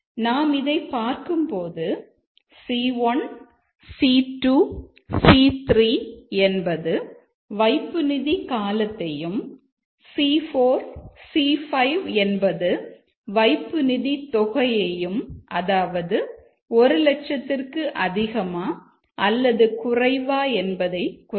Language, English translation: Tamil, If you will look here that C1, C2, C3 are the duration of the deposit, C4, C5 are the amount of deposit, whether it is greater than 1 lakh or less than 1 lakh